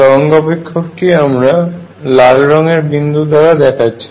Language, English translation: Bengali, The wave function right here I will show it by red point